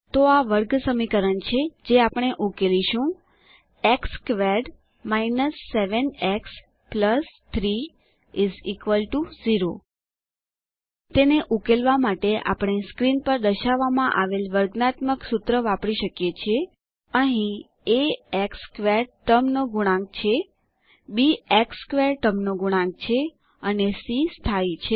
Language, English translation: Gujarati, So here is the quadratic equation we will solve, x squared 7 x + 3 = 0 To solve it, we can use the quadratic formula shown on the screen: Here a is the coefficient of the x squared term, b is the coefficient of the x term and c is the constant